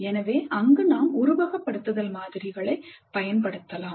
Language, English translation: Tamil, What are the context in which simulation can be used